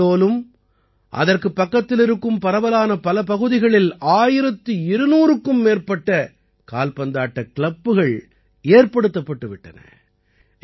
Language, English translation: Tamil, More than 1200 football clubs have been formed in Shahdol and its surrounding areas